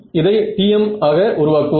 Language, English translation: Tamil, So and lets make it TM